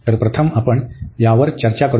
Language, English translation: Marathi, So, let us just discuss this one first